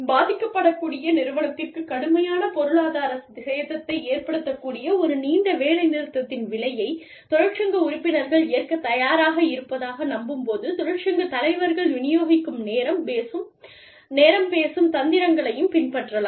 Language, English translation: Tamil, Union leaders may also adopt, distributive bargaining tactics, when they believe, union members are willing to accept, the cost of a long strike, that is likely to cause, a vulnerable company severe economic damage